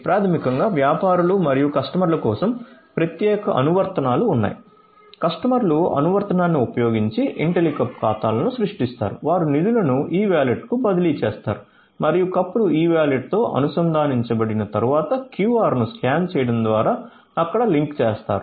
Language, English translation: Telugu, So, basically there are separate apps for the merchants and the customers, the customers create Intellicup accounts using the app, they transfer the funds to the e wallet us and linking there after the cups are linked to the e wallet by scanning a QR code via the app and docking the cup on the dispensing unit using the Intellihead